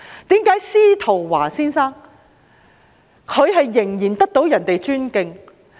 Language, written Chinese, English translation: Cantonese, 為何司徒華先生仍然備受尊敬？, Why do people still respect SZETO Wah?